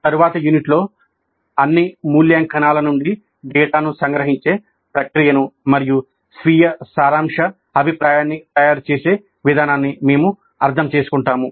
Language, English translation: Telugu, And in the next unit we will understand the process of summarization of data from all evaluations and the preparation of summary feedback to self